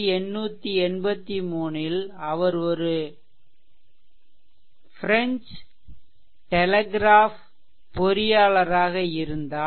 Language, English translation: Tamil, And in 1883, he was a French telegraph engineer